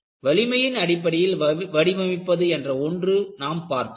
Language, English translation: Tamil, You have one approach, design based on strength